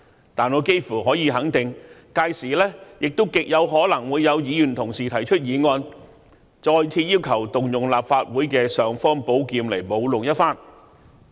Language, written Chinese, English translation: Cantonese, 然而，我幾乎可以肯定，屆時亦極可能會有議員同事提出議案，再次要求動用立法會的"尚方寶劍"來舞弄一番。, However I can almost assert that in that event it is highly likely some Honourable colleagues will propose motions to request again that the imperial sword of the Legislative Council be wielded